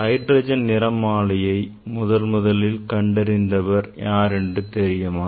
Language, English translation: Tamil, you know that the first this hydrogen spectra were observed by